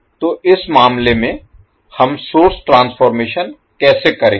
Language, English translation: Hindi, So in this case, how we will carry out the source transformation